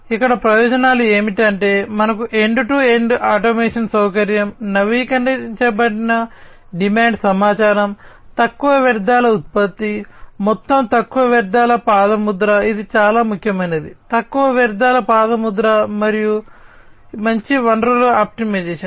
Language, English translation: Telugu, So, here the benefits are that we are going to have end to end automation facility, updated demand information, low waste generation, low waste footprint overall, this is very important low waste footprint, and better resource optimization